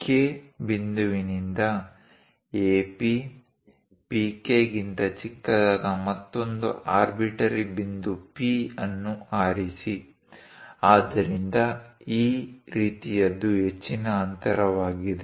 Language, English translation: Kannada, From K point, pick another arbitrary point P such that AP is smaller than PK; so something like this is greater distance